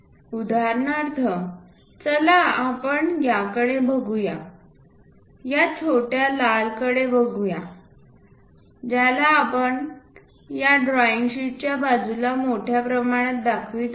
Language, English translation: Marathi, For example, let us look at this one this small red one, that one extensively we are showing it at sides the side of this drawing sheet